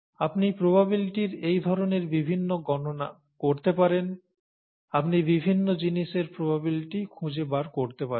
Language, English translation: Bengali, You could do various different calculations of this kind in terms of probabilities; you can find the probability of various different things